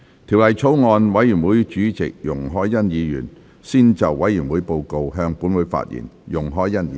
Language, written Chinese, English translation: Cantonese, 法案委員會主席容海恩議員先就委員會報告，向本會發言。, Ms YUNG Hoi - yan Chairman of the Bills Committee on the Bill will first address the Council on the Bills Committees Report